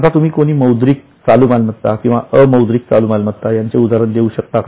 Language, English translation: Marathi, Now can you give examples of monetary current assets or non monetary current asset